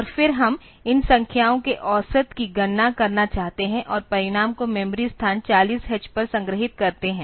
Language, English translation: Hindi, And then we want to compute the average of these numbers and store the result in the memory location 40 h